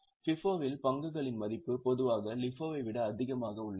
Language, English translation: Tamil, In FIFO, the value of stock is normally higher, in LIFO it is lesser